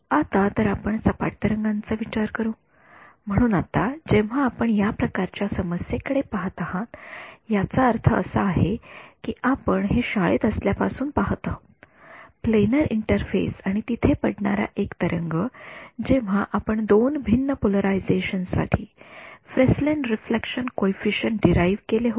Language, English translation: Marathi, Now so, we will deal with plane waves ok; so now, when you looked at this kind of a problem I mean this is something that we have been seeing from high school, plane a planar interface and a wave falling over there that is when we have derived the Fresnel reflection coefficients for two different polarizations